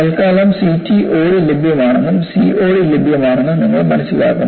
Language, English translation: Malayalam, For the time being, you understand there is CTOD available, as well as COD available